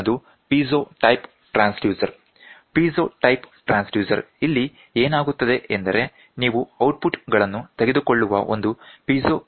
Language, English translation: Kannada, Next one is piezo type transducer, the piezo type transducer so; here what will happen is you will have a piezo crystal from which you take outputs